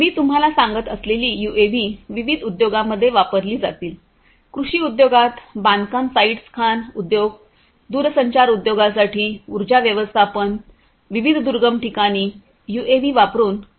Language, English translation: Marathi, UAVs as I was telling you would be used in different industries; in agricultural industry construction sites mining industry, energy management for telecommunication industry, for offering connectivity between different remote places UAVs could be used